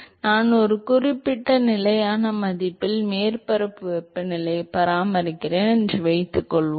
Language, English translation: Tamil, So, supposing I maintain the surface temperature at a certain constant value